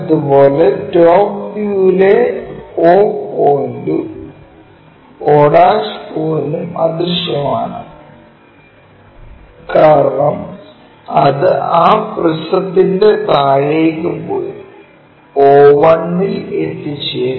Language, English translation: Malayalam, Similarly, o point and o' in the top view o one is invisible because it goes all the way down of that prism somewhere here o one